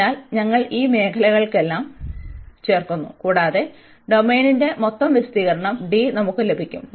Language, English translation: Malayalam, So, we are adding all these areas, and we will get the total area of the domain D